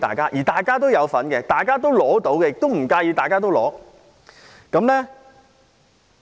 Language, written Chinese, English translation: Cantonese, 這是大家都有份，大家都應該得到，也不介意大家都得到的。, We all have a share in society and get the benefit and we do not mind if all people can share the benefit